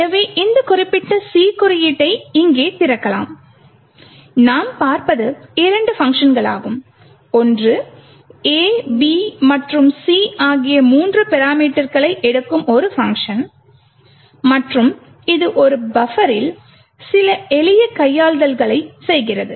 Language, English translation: Tamil, So, lets open this particular C code and open it over here and what we see is two functions, one is a function which takes three parameters a, b and c and it does some simple manipulations on a buffer